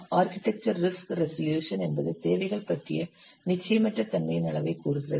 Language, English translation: Tamil, Architecturex resolution, it says the degree of uncertainty about requirements